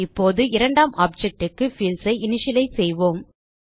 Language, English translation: Tamil, Now, we will initialize the fields for the second object